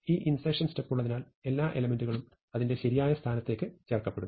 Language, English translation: Malayalam, So, it is because of this insertion step, that every element is inserted into its correct place